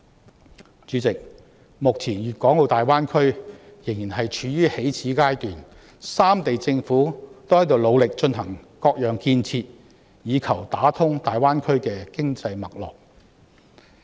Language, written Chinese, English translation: Cantonese, 代理主席，目前粵港澳大灣區仍然處於起始階段，三地政府均努力進行各種建設以求打通大灣區的經濟脈絡。, Deputy President as the development of the Greater Bay Area is still at its initial stage currently the governments of the three cities are all sparing no effort in implementing various infrastructure projects with a view to building the economic network to tap the Greater Bay Area